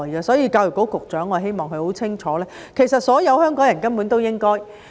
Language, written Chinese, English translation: Cantonese, 所以，我希望教育局局長很清楚，所有香港人根本都應該表示尊重。, Hence I hope the Secretary for Education is clear that all Hong Kong people should simply show respect to them